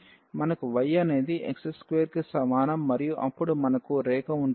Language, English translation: Telugu, So, we have y is equal to x square and then we have the line